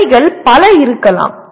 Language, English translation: Tamil, Assignments can be many